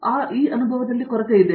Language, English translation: Kannada, So, that is what lacking in them